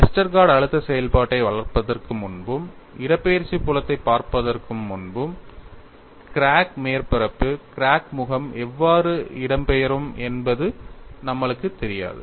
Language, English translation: Tamil, Before developing the Westergaard stress function and looking at the displacement field, we had no knowledge how the the crack face would displace